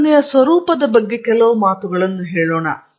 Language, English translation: Kannada, Let me say a few words about the nature of research